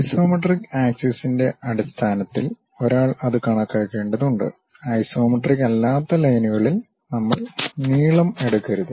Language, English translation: Malayalam, One has to count it in terms of isometric axis, we should not literally take any length on non isometric lines